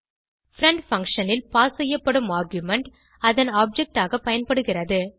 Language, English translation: Tamil, The argument passed in the friend function is used as its object